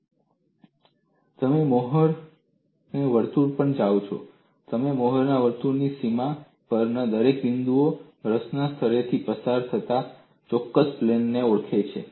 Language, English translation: Gujarati, When you go to a more circle, every point at the boundary of the more circle identifies particular plane passing through the point of interest